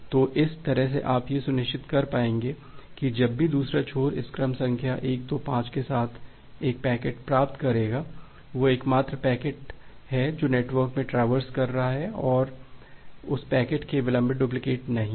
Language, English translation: Hindi, So, so that way you will be able to ensure that whenever the other end will receive a packet with this sequence number 125, that is the only packet that is traversing in the network or not a delayed duplicate of that particular packet